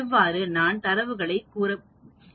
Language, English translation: Tamil, This is how you get the data